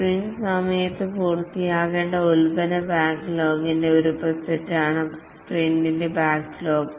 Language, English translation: Malayalam, The sprint backlog is a subset of product backlog which are to be completed during a sprint